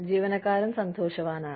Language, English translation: Malayalam, The employee is happy